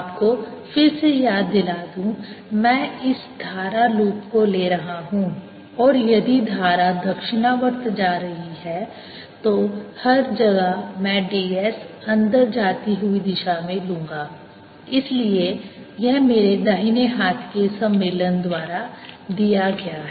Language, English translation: Hindi, let me remind you again, i am taking this current loop and if the current is, say, going clockwise, then d s everywhere i am taking as going in, so it is given by my right hand convention